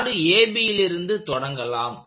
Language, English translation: Tamil, So we will start with the rod AB